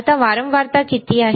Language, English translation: Marathi, Now, what is the frequency